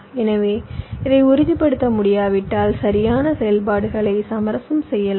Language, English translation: Tamil, so if this cannot be ensured, then the correctness operations can be compromised